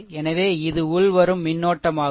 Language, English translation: Tamil, So, it is your incoming current